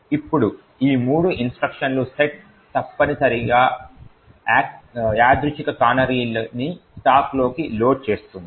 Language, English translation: Telugu, Now this set of three instructions essentially loads a random canary into the stack